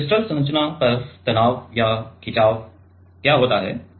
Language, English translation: Hindi, So, what happens is the stress or strain on crystal structure